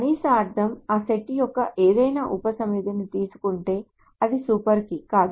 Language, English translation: Telugu, A minimal meaning if you take any subset of that set, it is not a super key any further